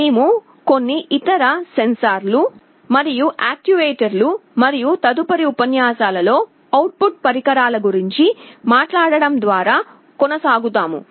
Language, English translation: Telugu, We shall be continuing by talking about some other sensors and actuators, and output devices in the next lectures